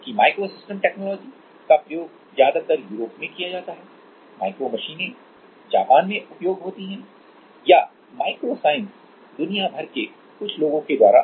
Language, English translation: Hindi, Whereas microsystem technology is mostly used in Europe, then micromachines used in Japan or micro science by some people around the world like that